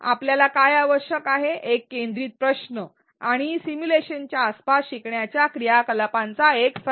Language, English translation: Marathi, What we need is a focus question and a set of learning activities around the simulation